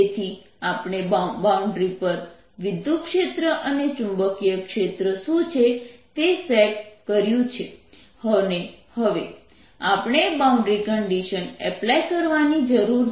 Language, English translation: Gujarati, so we have set up what the electric field and magnetic fields are at the boundary and now we need to apply the conditions